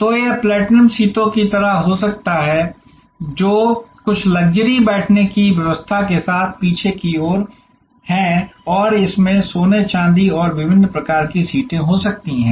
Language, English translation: Hindi, So, it could be like the platinum seats, which are right at the back with some luxury seating arrangement and there could be gold, silver and that sort of different types of seats